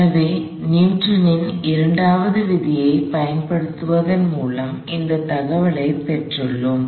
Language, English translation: Tamil, So, we have gotten this information from applying Newton second law